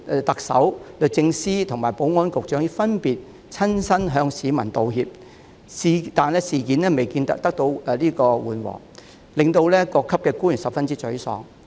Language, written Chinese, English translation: Cantonese, 特首、律政司及保安局局長早前已分別親自向市民道歉，但事情未見緩和，致令各級官員十分沮喪。, The Chief Executive the Secretary for Justice and the Secretary for Security tendered apologies in person respectively some time ago . Yet the incident shows no signs of calming down and all levels of government officials are frustrated